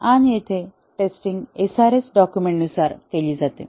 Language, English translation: Marathi, And, here the testing is done against, the SRS document